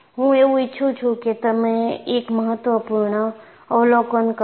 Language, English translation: Gujarati, So, I want you to make an important observation